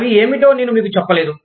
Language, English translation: Telugu, I did not tell you, what they were